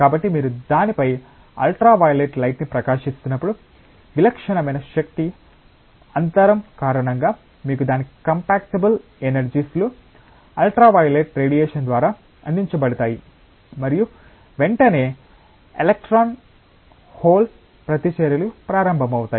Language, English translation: Telugu, So, when you shine ultraviolet light on that, so because of the typical energy gap, you have its compatible energies that is provided by the ultraviolet radiation and immediately electron hole reactions will start